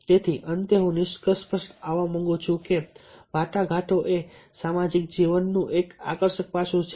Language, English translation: Gujarati, so, finally, i would like to conclude that negotiation is a fascinating aspect of human social life